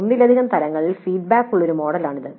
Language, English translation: Malayalam, It is a model with feedbacks at multiple levels